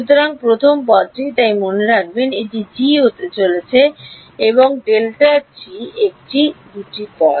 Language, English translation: Bengali, So, the first term so, remember this is going to be g and grad g those are the 2 terms